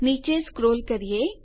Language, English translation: Gujarati, Lets scroll down